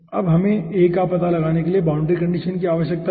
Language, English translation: Hindi, okay, now we need the boundary condition for finding out a